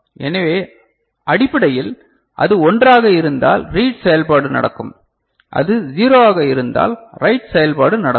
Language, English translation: Tamil, So, basically, if it is 1 then read operation will take place and if it is 0 then write operation will take place ok